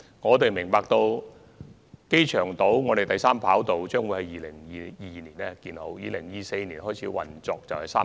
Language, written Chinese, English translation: Cantonese, 我們明白，機場第三條跑道將於2022年建成，並於2024年開始運作。, We are aware that the third airport runway will be completed in 2022 and commence operation in 2024